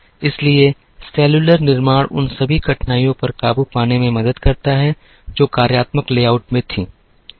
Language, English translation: Hindi, So, cellular manufacturing helps in overcoming all the difficulties that were there in the functional layout